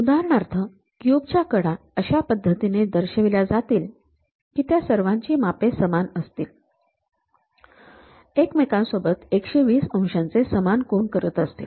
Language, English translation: Marathi, For example, the edges of a cube are projected so that they all measure the same and make equal angles 120 degrees with each other